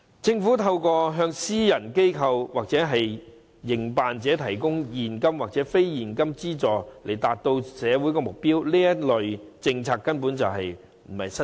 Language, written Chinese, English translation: Cantonese, 政府可向私人機構或營辦者提供現金或非現金資助，從而達至社會目標，這類政策並非新事。, The Government may provide a cash or non - cash subsidy to private organizations or operators so as to achieve social goals and this is not a new practice